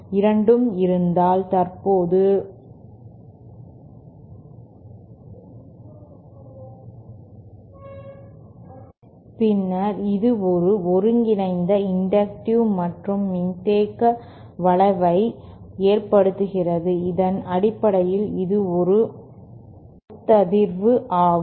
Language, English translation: Tamil, And if both are present, then it basically results in a inductive combined inductive and capacitive effect which basically is that of a resonator